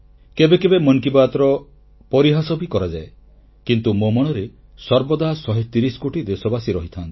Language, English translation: Odia, At times Mann Ki Baat is also sneered at but 130 crore countrymen ever occupy a special pleace in my heart